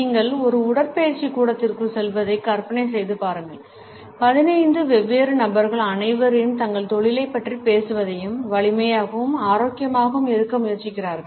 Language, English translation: Tamil, Imagine you walk into a gym and see 15 different people all going about their business and trying to get stronger and healthier